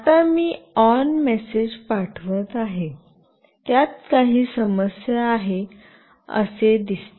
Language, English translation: Marathi, Now, see I will be sending an ON message, it seems to have some issue